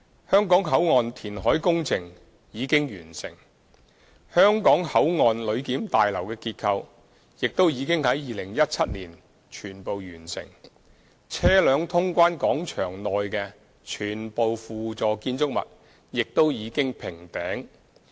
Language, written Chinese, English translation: Cantonese, 香港口岸填海工程已經完成，香港口岸旅檢大樓的結構亦已於2017年全部完成，車輛通關廣場內的全部輔助建築物亦已經平頂。, The structural works of the Passenger Clearance Building in HKBCF were completed in 2017 . All ancillary buildings in the vehicle clearance plaza have been topped out